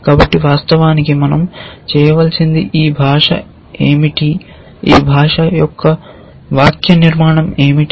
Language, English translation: Telugu, So, of course, what we need to do is to describe what is this language, what is the syntax of this language